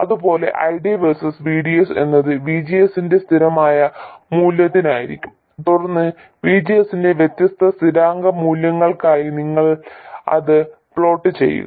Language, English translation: Malayalam, Similarly, ID versus VDS would be for a constant value of VGS and then you plot it for different constants values of VGS